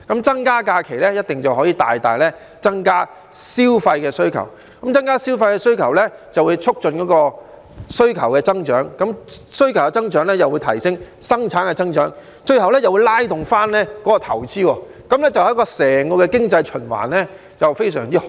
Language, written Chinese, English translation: Cantonese, 增加假期一定可以大大增加消費需求，增加消費需求就會促進需求增長，需求增長又會帶動生產增長，最後就會拉動投資，對整個經濟循環非常好。, Increasing the number of holidays will surely increase consumption - driven demand significantly which will in turn promote growth in demand and bring about growth in production eventually pushing up investment . This will be favourable to the economic cycle as a whole